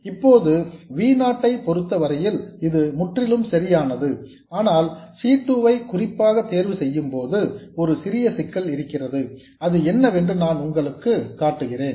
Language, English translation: Tamil, Now this is perfectly all right as far as V0 is concerned but there could be a slight problem with this particular choice of C2 that I will show